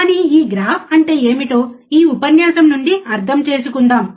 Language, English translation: Telugu, But let us understand from this lecture, what this graph means